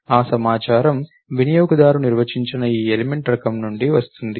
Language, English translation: Telugu, That information comes from this element type defined by the user